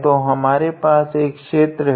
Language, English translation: Hindi, So, we basically have a region R